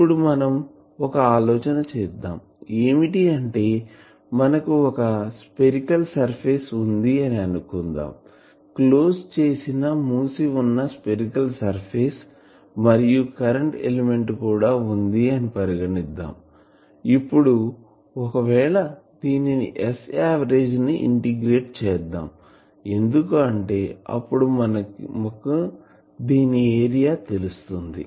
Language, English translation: Telugu, So, what is the total of this radiation taking place, it is we can think that we will have a spherical surface, enclosing these say closed spherical surface if we enclose, enclosing this current element and, then if we integrate this S average there because it will come out of this area